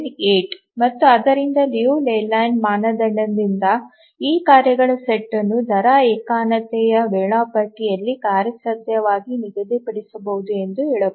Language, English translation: Kannada, 778 and therefore by the Leland criterion we can say that this task set can be feasibly scheduled in the rate monotonic scheduler